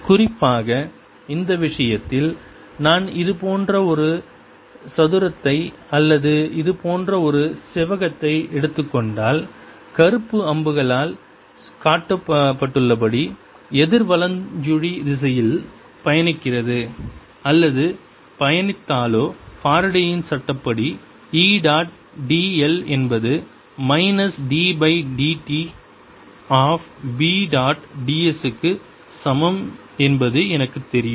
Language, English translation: Tamil, in particular, in this case, if i take a square like this, or ah rectangle like this, traveling or traversing it counter clockwise, as shown these by black arrows, i know that by faradays law i am going to have integral e dot d l is equal to minus d by d t of b dot d s, where d s is the area in now, since e is in only y direction